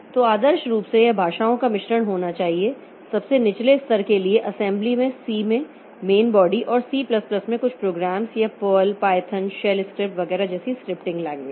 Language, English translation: Hindi, So, ideally it should be a mix of the languages for the lowest levels in assembly main body in C and some programs in C++ or scripting language like PURL, Python, shell scripts etc